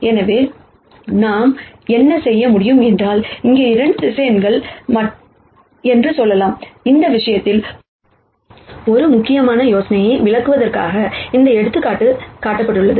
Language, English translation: Tamil, So, what we can do is, we can take, let us say 2 vectors here, in this case this is how this example has been constructed to illustrate an important idea